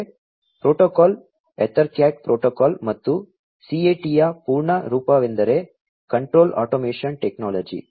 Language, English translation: Kannada, Next, protocol is the EtherCAT protocol and the full form of CAT is Control Automation Technology